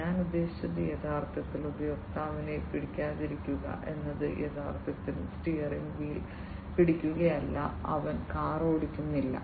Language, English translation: Malayalam, I mean not actually holding the user is not actually holding the steering wheel and he is not driving the car